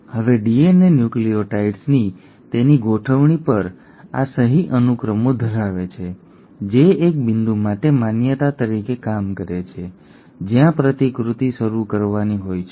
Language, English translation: Gujarati, Now DNA has these signature sequences on its arrangement of nucleotides, which act as recognition for a point where the replication has to start